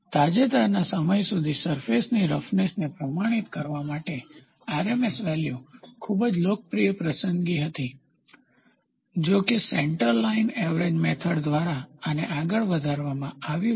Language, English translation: Gujarati, Until recently, RMS values were very popular choice for quantifying surface roughness; however, this has been superseded by the centre line average method